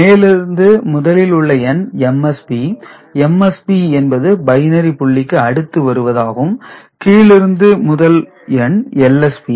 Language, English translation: Tamil, So, the topmost one is the MSB, MSB in the sense that comes after the you know, the binary point and the bottom most point one is the LSB